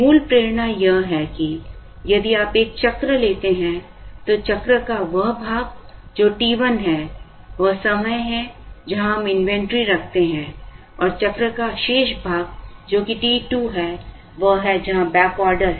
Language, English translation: Hindi, Basic motivation is that, if you take a cycle, part of the cycle which is t 1, is the time where we hold inventory and the remaining part of cycle which is t 2, is where the backorder is there